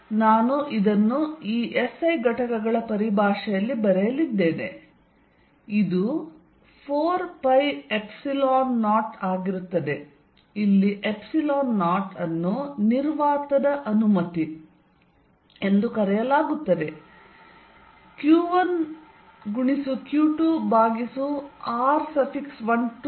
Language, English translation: Kannada, So, I am going to write this in terms of this SI units, it is going to be 4 pi Epsilon 0 where Epsilon 0 is known as the permittivity of vacuum q 1, q 2 over r 1 2 square